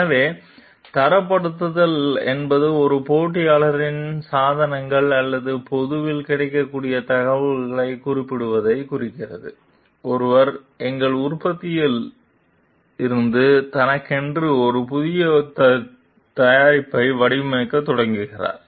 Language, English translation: Tamil, So, benchmarking is referring to an like referring to and competitor s devices or publicly available information before, one starts designing from our manufacturing a new product for oneself